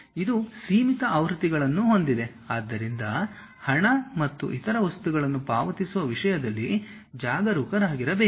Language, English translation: Kannada, It has limited versions, so one has to be careful with that in terms of paying money and other things